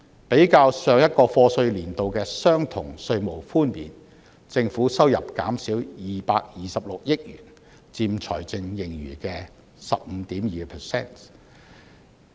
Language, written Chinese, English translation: Cantonese, 比較上個課稅年度的相同稅務寬免，政府收入減少226億元，佔財政盈餘的 15.2%。, For the similar tax concession measure offered in the previous year of assessment the government revenue was reduced by 22.6 billion accounting for 15.2 % of the fiscal surplus